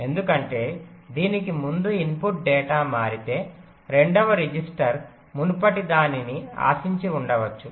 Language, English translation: Telugu, because if the input data changes before that, maybe the second register will be expecting the previous